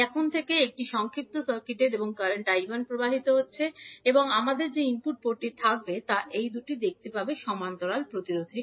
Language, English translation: Bengali, Now, since this is short circuited and current I 1 is flowing form the input port we will have, will see these two resistances in parallel